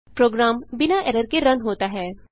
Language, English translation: Hindi, Program runs without errors